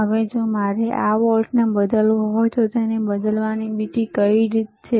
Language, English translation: Gujarati, Now if I want to change this voltage, if I want to change this voltage, what is the another way of changing it